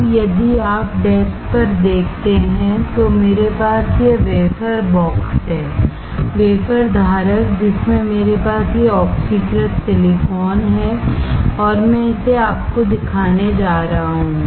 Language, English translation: Hindi, Now, if you see on the desk, I have this wafer box; wafer holder in which I have this oxidized silicon and I am going to show it to you